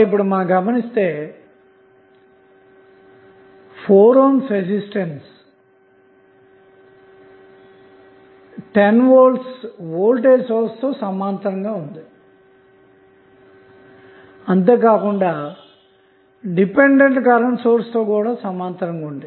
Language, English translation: Telugu, Now, if you see the figure that 4 ohm resistor is in parallel with 10 volt voltage source and 4 ohm resistor is also parallel with dependent current source